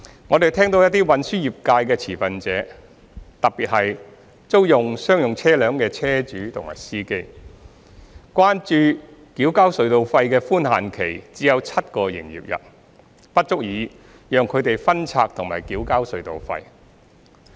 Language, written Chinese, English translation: Cantonese, 我們聽到一些運輸業界的持份者，特別是租用商用車輛的車主和司機，關注繳交隧道費的寬限期只有7個營業日，不足以讓他們分拆及繳交隧道費。, We have listened to the concerns of some stakeholders of the transport trades especially the owners and rentee - drivers of commercial vehicles that the seven - business day grace period for tunnel toll payment is insufficient for them to split and pay the tolls